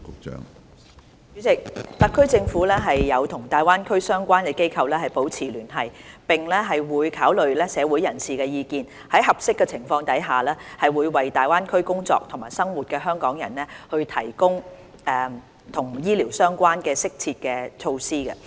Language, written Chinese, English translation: Cantonese, 主席，特區政府有與大灣區的相關機構保持聯繫，並會考慮社會人士的意見，在合適的情況下，為在大灣區工作和生活的香港人提供與醫療相關的適切措施。, President the Government of the Hong Kong Special Administrative Region maintains liaison with the relevant institutions in the Greater Bay Area and takes account of the views of members of the public and provides suitable health - related measures for Hong Kong people working and living in the Greater Bay Area where appropriate